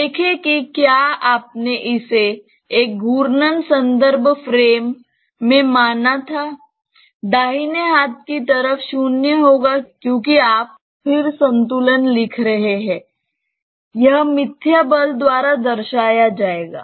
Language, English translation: Hindi, See if you had considered it in a rotating reference frame, the right hand side would be 0 because you are writing static equilibrium; this would be represented by the pseudo force